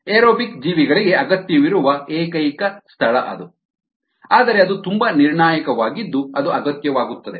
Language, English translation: Kannada, that's the only place where it is required by aerobic organisms, but that so crucial that ah it becomes essential